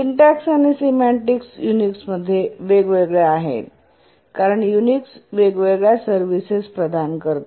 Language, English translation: Marathi, Because the syntax and the service semantics differed, the different Unix version offered different services